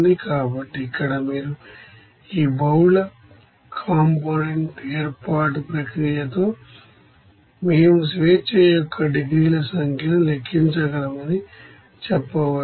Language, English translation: Telugu, So, here also you can say that with this multi component separation process, we can calculate the number of degrees of freedom